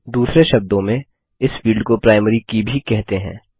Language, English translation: Hindi, In other words this field is also called the Primary Key